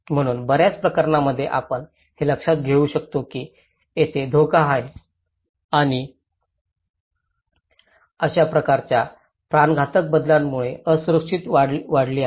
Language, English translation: Marathi, So in many cases, we can observe that there is threat and such kind of cataclysmic changes have led to increase vulnerability